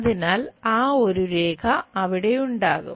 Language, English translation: Malayalam, So, that one single line will be there